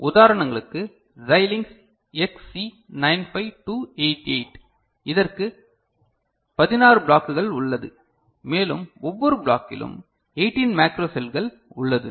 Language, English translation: Tamil, For examples Xilinx XC 952 double 8, it has got 16 blocks and in each block there are 18 macro cells ok